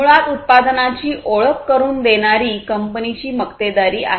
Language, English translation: Marathi, So, the company which introduced the product basically has monopoly